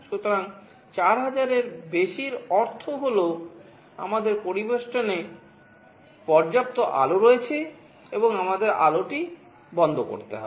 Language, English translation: Bengali, So, greater than 4000 means we have sufficient light in the ambience, and we have to switch OFF the light